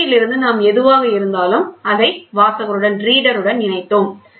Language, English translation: Tamil, And from the amplifier we connected to a reader whatever it is